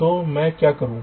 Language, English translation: Hindi, so how you do this